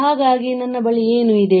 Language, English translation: Kannada, So, what I have